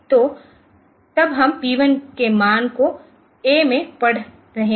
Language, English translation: Hindi, So, that is then we are reading the value of p 1 into a